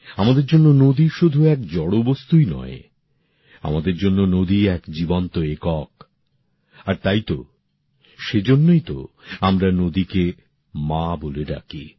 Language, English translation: Bengali, For us, rivers are not mere physical entities; for us a river is a living unit…and that is exactly why we refer to rivers as Mother